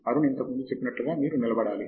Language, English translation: Telugu, You have to persist as Arun said earlier